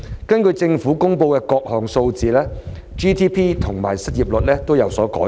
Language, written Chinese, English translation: Cantonese, 根據政府公布的各項數字 ，GDP 及失業率已有所改善。, According to the figures released by the Government GDP and unemployment rates have improved